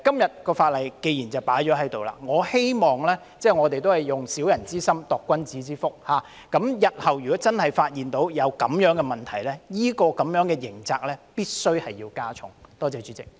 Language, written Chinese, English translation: Cantonese, 所以，既然今天已經提出法案，我希望我們只是以小人之心度君子之腹，日後如果真的發現這樣的問題，有關刑責必須加重。, As such since the Bill has been introduced today I hope that we are merely measuring other peoples corn by our own bushel . Should such a problem be really detected in the future the criminal penalty concerned must be increased